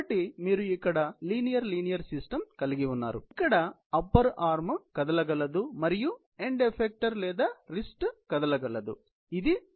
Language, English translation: Telugu, So, you have a linear linear system here, where the upper arm is able move and so is the end effecter or the wrist, you can say, is capable of movement ok